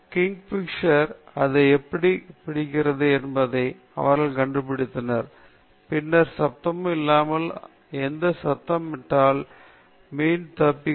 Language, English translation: Tamil, They figured out how the kingfisher catches it’s prey okay, and then, without any noise, if it makes a noise, the fish will escape